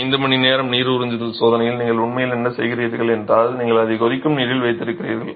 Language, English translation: Tamil, In the 5 hour water absorption test what you are actually doing is you are immersing it in boiling water